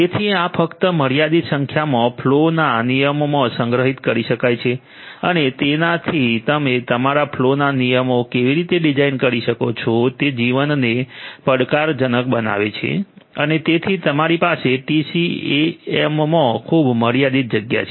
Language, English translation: Gujarati, So, this only a limited number of flow rules can be stored and that makes the life challenging about how you are going to design your flow rules and so on, because you have very limited space in the TCAM which can store your flow rules